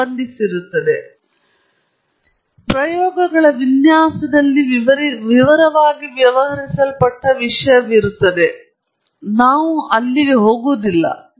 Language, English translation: Kannada, That is a part, that is a topic that is dealt within detail in design of experiments and we don’t go into that here